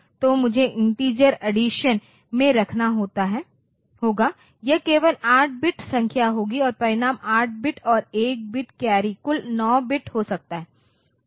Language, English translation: Hindi, So, I have to keep in the integer addition, it will be only 8 bit numbers and the result can be 8 bit plus 1 bit carry total 9 bit